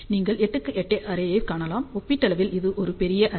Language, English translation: Tamil, You can see that 8 by 8 array is relatively a larger array